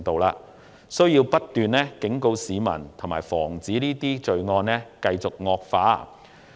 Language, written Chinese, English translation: Cantonese, 政府有需要不斷忠告市民，以防罪案繼續惡化。, The Government must continue to warn the people to prevent the continuous growth of the crime